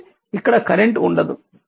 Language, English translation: Telugu, So, there will be no current here